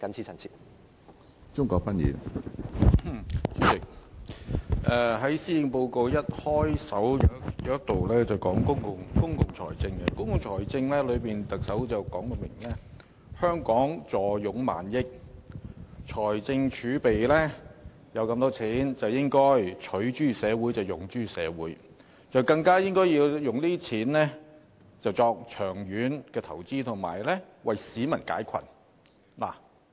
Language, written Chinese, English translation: Cantonese, 主席，施政報告開首部分提到公共財政，特首明言香港坐擁過萬億港元的財政儲備，應該"取諸社會、用諸社會"，更應該利用儲備作長遠投資，為市民解困。, President the Policy Address talks about public finance in its opening . The Chief Executive has clearly stated that with a fiscal reserve in excess of 1,000 billion Hong Kong should use such wealth derived from the community to benefit the community and it should also make long - term investment with its reserve to relieve peoples burdens